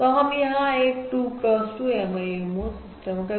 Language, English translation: Hindi, So here we are considering a 2 cross 2 MIMO system